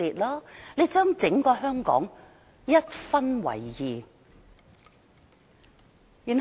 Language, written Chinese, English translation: Cantonese, 她把整個香港一分為二。, She has split Hong Kong into two opposing factions